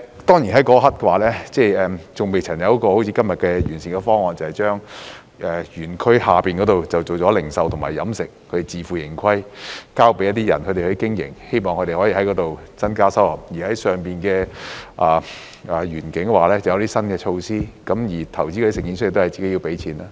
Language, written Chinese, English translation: Cantonese, 當然，在那一刻尚未有一個好像今天的完善方案，即是把山下園區改為零售和飲食，並自負盈虧，交給私人發展商經營，希望可以從那裏增加收入；而山上園區則設有一些新措施，而投資者或營辦商亦要自行出資。, Of course at that time we did not have a comprehensive proposal similar to the one today under which the lower park will be transformed into a retail and dining zone to be operated by private developers on a self - financing basis in the hope of generating additional income . New measures will be introduced for the upper park and investors or operators need to contribute their own share of funding